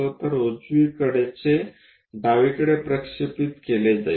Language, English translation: Marathi, So, right is projected to left